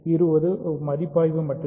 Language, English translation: Tamil, So, this is supposed to be just a review